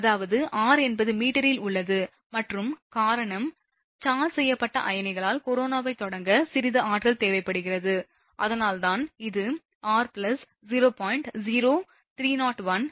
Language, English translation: Tamil, So; that means, r is that in meter and the reason is that some energy is required by the charged ions to start corona, right